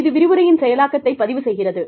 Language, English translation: Tamil, It is recording processing of the lecture